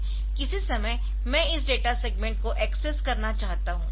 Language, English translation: Hindi, So, at some point of time, I want to access this data segment